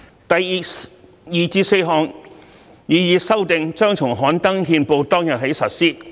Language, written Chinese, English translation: Cantonese, 第二至四項擬議修訂將從刊登憲報當天起實施。, The second to fourth proposed amendments will take effect from the day of gazettal